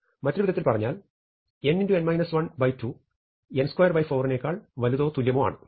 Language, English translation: Malayalam, Here, I have a different n, I have n greater than equal to 2